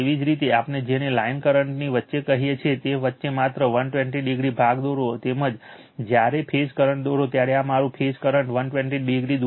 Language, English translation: Gujarati, Similarly you draw just 120 degree part between among your what we call between your line current as well as when you draw the phase current these are all this phase current 120 degree apart right